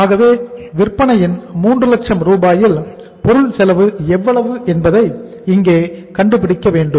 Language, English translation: Tamil, So we will have to find out here out of 3 lakh rupees of the sales we will have to see that what is the material cost